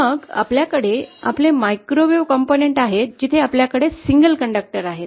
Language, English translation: Marathi, Then we have our microwave components where we have single conductors i